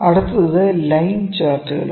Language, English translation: Malayalam, Next is line charts